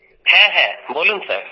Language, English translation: Bengali, Yes… Yes Sir